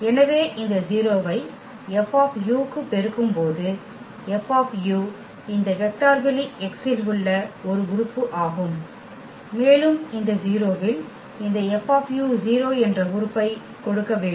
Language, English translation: Tamil, So, when we multiply this 0 to F u, F u is an element in this vector space X and again this 0 into this element F u must give 0 element